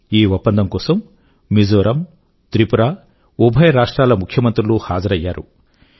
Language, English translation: Telugu, The Chief Ministers of both Mizoram and Tripura were present during the signing of the agreement